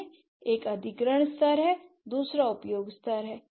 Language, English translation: Hindi, One is the acquisition level, the other one is the use level